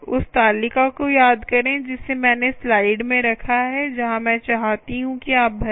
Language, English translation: Hindi, recall the table i put in the slide where i want you to fill up